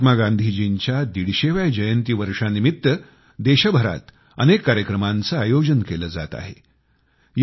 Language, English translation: Marathi, Many programs are being organized across the country in celebration of the 150th birth anniversary of Mahatma Gandhi